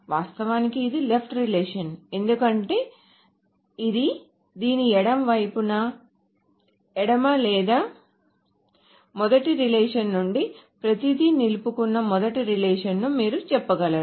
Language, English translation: Telugu, Of course this is the left of this, because this is on the left of this, or you can say the first relation